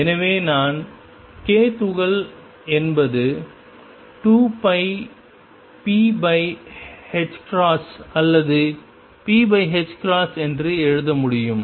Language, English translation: Tamil, So, I can write k particle is 2 pi p over h or p over h cross